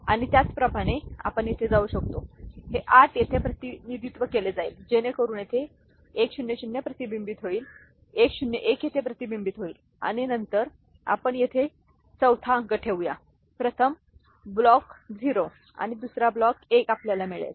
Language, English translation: Marathi, And similarly, we can go for this 8 will be represented here, so that gets reflected like 100 is reflected here, 101 is reflected here and then we will put to place the 4th digit here first block 0 and second block one we shall get the consecutive numbers